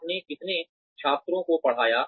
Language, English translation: Hindi, How many students, did you teach